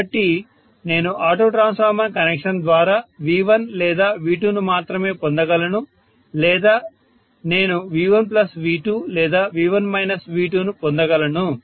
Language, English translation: Telugu, So I would be able to get by auto transformer connection either V1 or V2 alone or I would be able to get V1 plus V2 or V1 minus V2